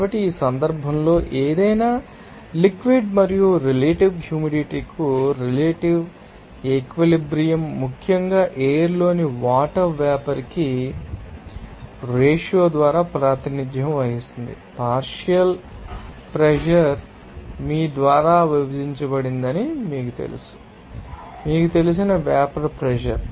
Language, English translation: Telugu, So, in this case, relative saturation for any liquid and relative humidity, especially, to water vapour in air will be represented by this ratio of that, you know partial pressure divided by you know vapour pressure of that you know component attic temperature t